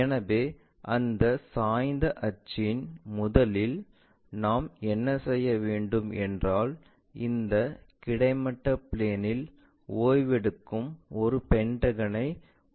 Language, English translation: Tamil, So, to do that inclined axis first of all what we will do is we will construct a pentagon resting on this horizontal plane